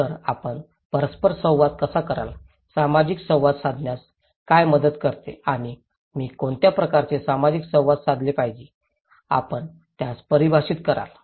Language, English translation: Marathi, So, how do you make interactions, what helps to make social interactions and what kind of social interactions I should do; you will define that one